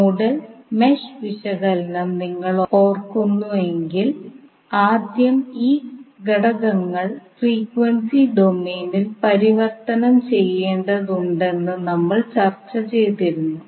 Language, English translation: Malayalam, If you remember in case of the nodal n mesh analysis we discussed that first the elements need to be converted in frequency domain